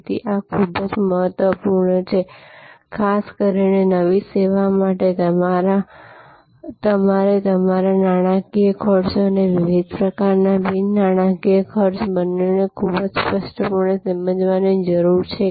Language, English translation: Gujarati, So, this is very important, particularly for a new service, you need to very clearly understand both your monitory costs and different types of non monitory costs